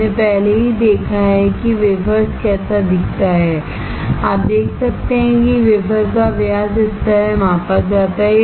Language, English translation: Hindi, We have already seen how wafers looks like, you can see the diameter of the wafer is measured like this